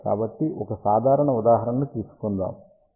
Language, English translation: Telugu, So, just take a simple example